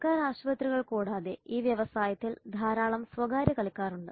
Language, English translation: Malayalam, Apart from government hospitals there are so many private players in this industry